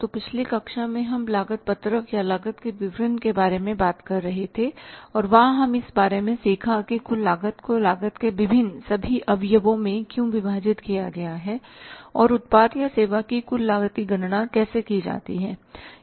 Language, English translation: Hindi, So, in the previous class we were talking about the cost sheet or statement of the cost and there we were learning about that why the total cost is divided over the different sub components of the cost and how the total cost of the product or service is calculated